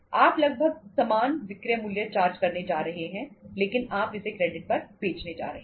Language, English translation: Hindi, You are going to charge the selling price almost the same selling price but you are going to sell him on the credit